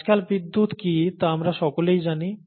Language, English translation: Bengali, And we all know what electricity is nowadays